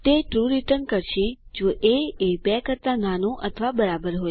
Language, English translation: Gujarati, It returns true if a is less than or equal to b